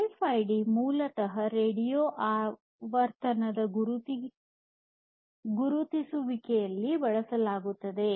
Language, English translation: Kannada, So, RFID stands basically for radio frequency identification